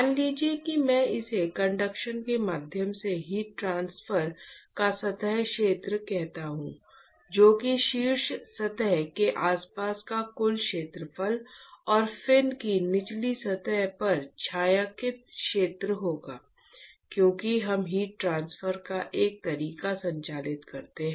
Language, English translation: Hindi, Let us say I call this s the surface area of heat transport via conduction, that will be this total area around the top surface plus the shaded area on the bottom surface of the fin because we conduct a mode of heat transport is going to occur from both the top and the bottom of the fin